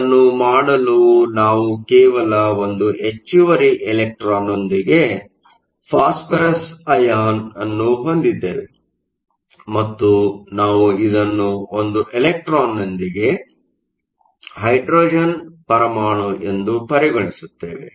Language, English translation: Kannada, To do that we simply say that we have phosphorous ion with one extra electron and we will treat this as a hydrogen atom with one electron